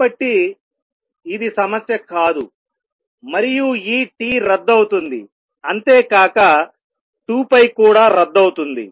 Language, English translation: Telugu, So, that is not an issue, and this t cancels and therefore, and 2 pi cancels